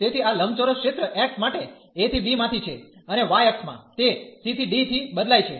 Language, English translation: Gujarati, So, this rectangular region is from a to b for x and in the in the y axis, it varies from c to d